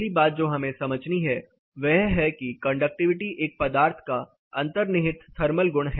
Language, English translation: Hindi, So, the first thing we have to understand is conductivity is a materials property; it is a inherent materials thermal property